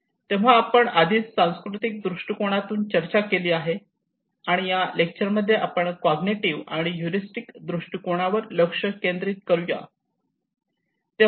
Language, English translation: Marathi, So we already had the discussions on cultural perspective here in this lecture we will focus on heuristic or cognitive perspective okay